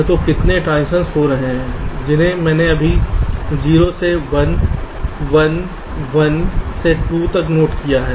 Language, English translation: Hindi, so how many transitions are taking place that i have just noted down: zero to one, one, one to two